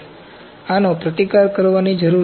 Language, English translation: Gujarati, So, these need to be countered